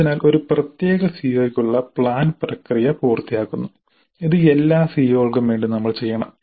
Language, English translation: Malayalam, So this completes the plan process for a particular CO and this we must do for all COs